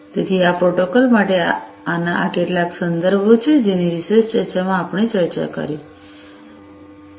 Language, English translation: Gujarati, So, these are some of these references for these protocols that we have discussed in this particular lecture